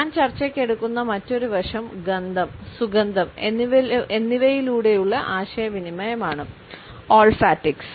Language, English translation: Malayalam, Another aspect which I would take up for discussion is olfactics which means communication through smell and scent